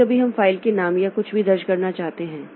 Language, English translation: Hindi, Sometimes we want to have to enter text like name of the file or something like that